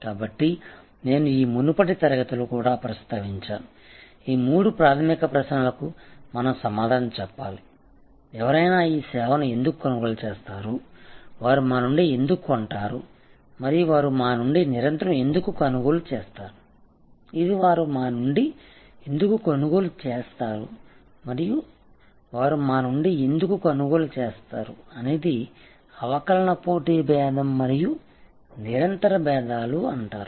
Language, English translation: Telugu, So, I often I think I mentioned this in the previous class also, that we have to answer these three fundamental questions, that why will anybody buy this service, why will they buy from us and why will they continue to buy from us, this why will they buy from us and why will they continue to buy from us is what is called the differentiation competitive differentiation and continuing differentiations